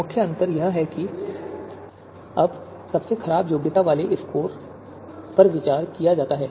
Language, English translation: Hindi, The only difference or the main difference being that the alternatives with worst qualification scores are considered now